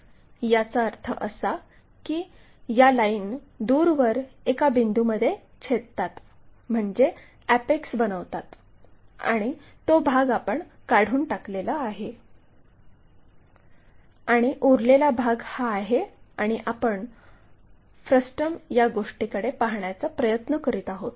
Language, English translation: Marathi, That means, these lines go intersect far away and makes something like apex and that part we have removed it, and the leftover part is this, and that frustum what we are trying to look at